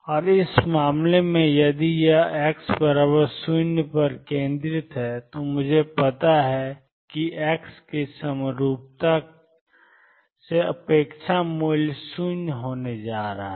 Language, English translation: Hindi, And in this case if this is centered at x equal to 0, I know the expectation value from symmetry of x is going to be 0